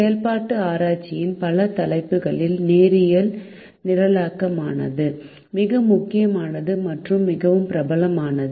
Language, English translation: Tamil, among the several topics in operations research, linear programming is the most important and the most popular one